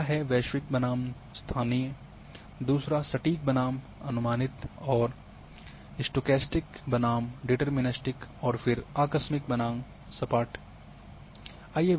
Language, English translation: Hindi, First one is global versus local another is exact versus approximate and stochastic versus deterministic and then abrupt versus smooth